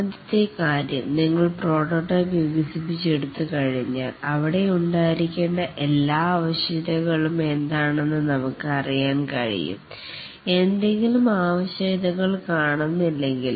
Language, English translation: Malayalam, The first thing is that once we develop the prototype, we can know what are all the requirements that should be there, if there are any requirements which are missing